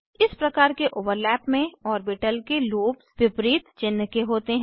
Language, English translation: Hindi, In this type of overlap, lobes of orbitals are of opposite sign